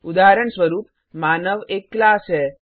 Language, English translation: Hindi, For example human being is a class